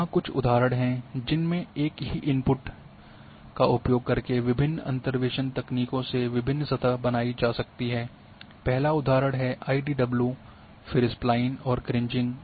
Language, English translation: Hindi, Some examples are here using the same input creating the different surfaces using different interpolation techniques; first example is IDW, then Spline and Kriging